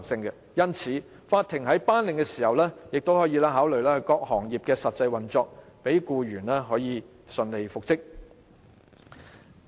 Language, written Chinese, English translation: Cantonese, 因此，法庭在作出復職的命令時可考慮各行業的實際運作，讓僱員可以順利復職。, Therefore the court may consider the actual operation of different professions in making reinstatement orders so that the employees can be reinstated successfully